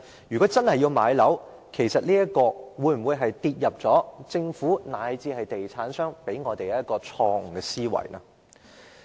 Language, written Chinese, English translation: Cantonese, 如果真的要買樓，是否受到政府，以至地產商向我們灌輸的錯誤思維所影響？, And even if we think there is such a need is this some kind of wrong belief instilled in us by the Government or even property developers?